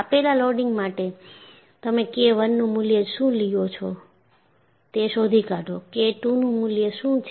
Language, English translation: Gujarati, So, for a given loading, you find out what is the value of K I, what the value of K II is and what the value of K III is